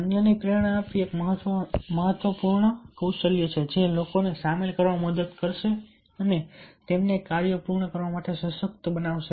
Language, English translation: Gujarati, motivating others is an important leadership skill that will help to get people involved and empower them to complete the tasks